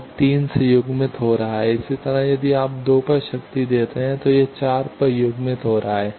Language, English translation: Hindi, That one is getting coupled to 3, similarly if you give power at 2 it is getting coupled at 4